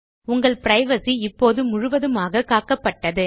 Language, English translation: Tamil, your privacy is now completely protected